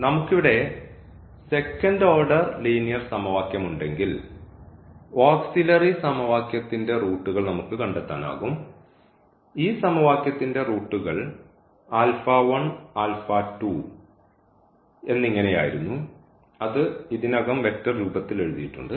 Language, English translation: Malayalam, If we have a second order linear equation here, we can find out the roots of the auxiliary equation we can find the roots of this equation which was alpha 1 and alpha 2 here it is written already in the vector form